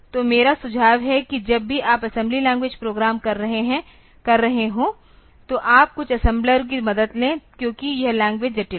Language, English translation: Hindi, So, I would suggest that whenever you are doing assembly language programs so, you would take help of some assembler because that is the languages are complex